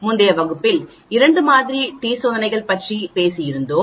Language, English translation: Tamil, We have been talking about two sample t tests in the previous class